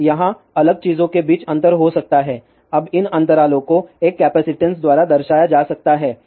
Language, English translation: Hindi, Now, there may be a gap between the different thing now these gaps can be represented by a capacitance